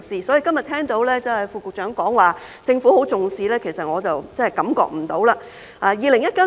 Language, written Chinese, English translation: Cantonese, 所以，今天聽到副局長表示政府十分重視，其實我真的感覺不到。, Therefore despite having heard the Under Secretary saying today that the Government attaches great importance to this I really do not feel it